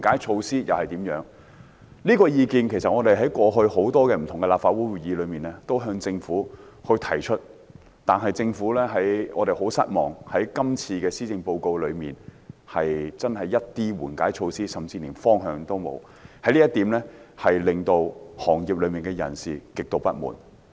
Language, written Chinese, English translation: Cantonese, 事實上，我們過往在立法會很多不同的會議上，也曾向政府提出有關意見，但我們很失望，今次施政報告真的連一些緩解措施甚至方向也沒有，這令業內人士極度不滿。, At many different meetings of the Legislative Council in the past we have actually expressed our opinions to the Government . Much to our disappointment we cannot find any mitigation measures or even direction in this Policy Address and the people in the industries are highly dissatisfied with it